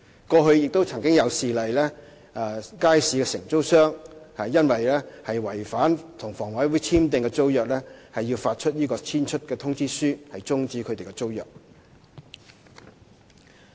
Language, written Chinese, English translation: Cantonese, 過去亦曾有事例，街市承租商因違反與房委會簽訂的租約，當局要發出"遷出通知書"終止他們的租約。, There were previous cases in which market operators were served Notice to Quit to have their tenancies terminated due to contravention of their agreements